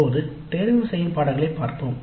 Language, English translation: Tamil, Now let us look at the elective courses